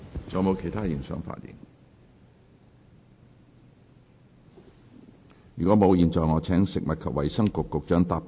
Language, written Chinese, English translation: Cantonese, 如果沒有，我現在請食物及衞生局局長答辯。, If not I now call upon the Secretary for Food and Health to reply